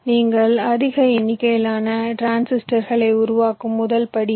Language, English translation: Tamil, so the first step: you create a large number of transistors which are not connected